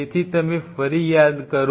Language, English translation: Gujarati, So, if you recollect back